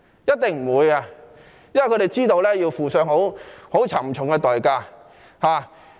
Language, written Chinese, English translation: Cantonese, 一定沒有，因為他們知道這是要付上沉重代價的。, Definitely not because they know this will have a high price to pay